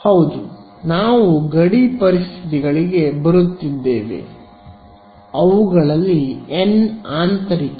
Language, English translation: Kannada, Yeah we are coming to the boundary conditions n of them are interior